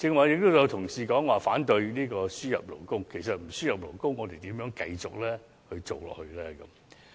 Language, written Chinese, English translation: Cantonese, 有同事剛才說反對輸入勞工，但如果不輸入勞工，我們如何繼續經營下去呢？, Some colleagues said earlier that they opposed the importation of labour . But if we do not import workers how can we continue our operation?